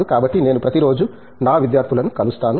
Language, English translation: Telugu, So, I see to it I meet my students every day